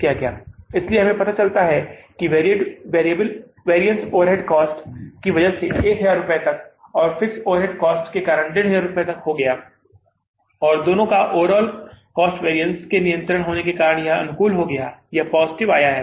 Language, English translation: Hindi, So, we found out that this positive variance has been up to 1,000 because of the variable overhead cost and up to 1,500 because of the fixed overhead cost and both being under control, your total overhead cost variance has become favorable, it has come positive